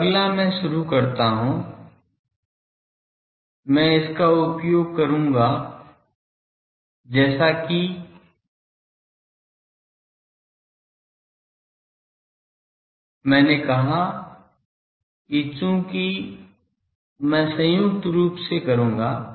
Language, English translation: Hindi, Now, next I start I will use that as I said that since I will jointly do